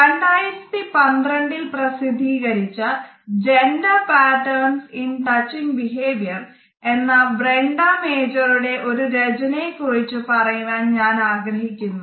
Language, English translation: Malayalam, this article was published in 2012 and the title is Gender Patterns in Touching Behavior